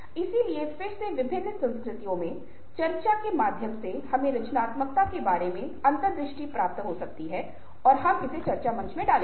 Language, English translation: Hindi, ok, so that again, through the discussion forum, in different cultures, we can get ne have insights into what creativity means and we will put it up in the discussion forum